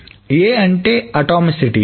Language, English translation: Telugu, A stands for atomicity